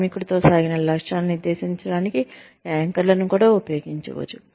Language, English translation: Telugu, Anchors can also be used, to set stretch goals, with the worker